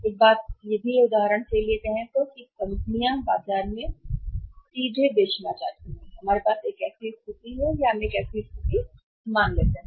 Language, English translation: Hindi, One thing is that say for example if the companies are selling directly in the market we have a situation where we assume a situation here